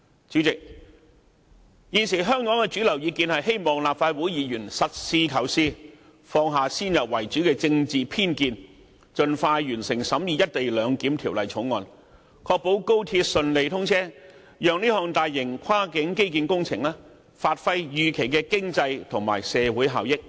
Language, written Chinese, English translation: Cantonese, 主席，香港現時的主流意見是希望立法會議員實事求是，放下先入為主的政治偏見，盡快完成審議《條例草案》，確保高鐵順利通車，讓這項大型跨境基建工程發揮預期的經濟和社會效益。, Chairman it is the prevailing view in Hong Kong that Members of the Legislative Council should be practical and realistic casting aside their preconceived political bias for an expeditious completion of the examination of the Bill thereby ensuring the smooth commissioning of XRL and the realization of the expected economic and social benefits to be unleashed by this massive project of cross - boundary infrastructure